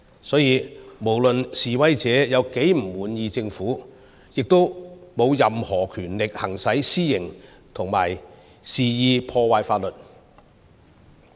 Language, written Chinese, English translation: Cantonese, 所以，不論示威者如何不滿意政府，亦沒有任何權力行使私刑及肆意破壞法律。, Hence no matter how discontent the protesters are with the Government they do not have the right to take the law into their own hands or blatantly break the law